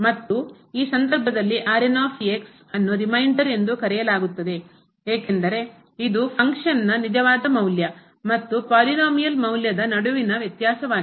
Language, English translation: Kannada, And in this case now the is called the remainder, because this is the difference between the actual value of the function minus the polynomial value at the point